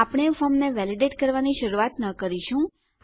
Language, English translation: Gujarati, We wont start validating the form